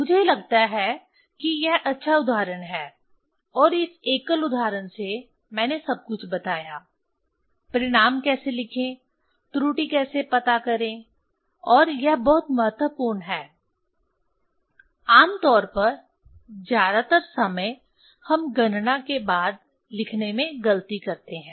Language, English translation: Hindi, I think this is the good example and from this single example, I told everything; how to write the result, how to find out the error, and this is very important; generally most of the time, we do mistake for writing after calculation